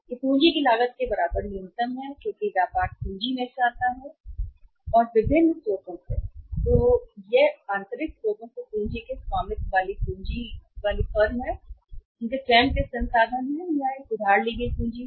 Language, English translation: Hindi, That is minimum equal to the cost of the capital because in the business capital comes from the different sources either it is owned capital from the internal sources the capital owned by the firm, their own resources or it is a borrowed capital